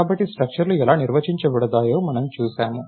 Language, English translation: Telugu, So, we have seen how structures are defined